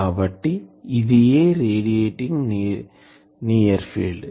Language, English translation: Telugu, Now, what is radiating near field